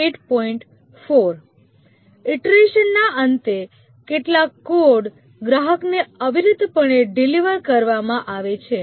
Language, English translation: Gujarati, At the end of a iteration, some code is delivered to the customer invariably